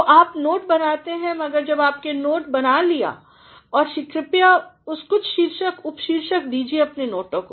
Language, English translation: Hindi, So, make notes, but when you have made notes please give some headings and subheadings to your notes